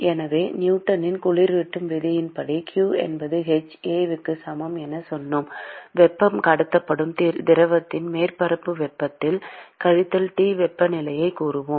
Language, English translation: Tamil, So, far we said by Newton’s law of cooling we said that q equal to h A into let us say the surface temperature minus T temperature of the fluid to which the heat is being transported